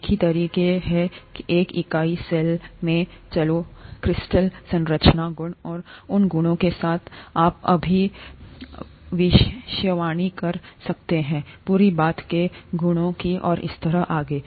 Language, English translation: Hindi, Same way that a unit cell in, in let’s say crystal structure, the properties, with those properties you could predict properties of the whole thing, and so on so forth